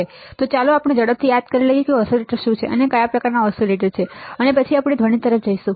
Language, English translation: Gujarati, So, let us quickly recall what are the oscillators, and what are the kind of oscillators, and then we will we will move to the noise ok